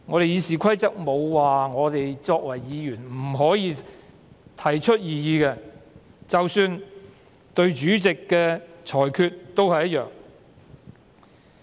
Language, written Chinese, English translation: Cantonese, 《議事規則》沒有說議員不可以提出異議，即使對主席的裁決也一樣。, RoP make no mention that a Member shall raise no objection and this is true even in the case of the Presidents ruling